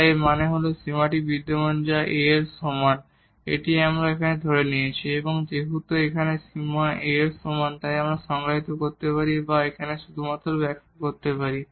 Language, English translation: Bengali, So; that means, this limit exist which is equal to A this is what we have assumed and now since this limit is equal to A we can define or let me just explain you here